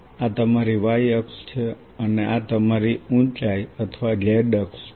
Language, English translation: Gujarati, this is your y axis and this is your height or the z axis